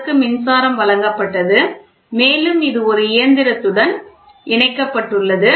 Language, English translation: Tamil, So, the power supply had and then this is attached to a machine